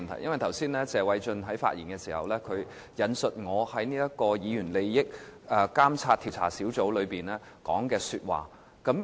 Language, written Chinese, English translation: Cantonese, 主席，謝偉俊議員剛才發言時引述我在議員個人利益監察委員會會議上所說的話。, President in his speech just now Mr Paul TSE cited what I had said at meetings of the Committee on Members Interests CMI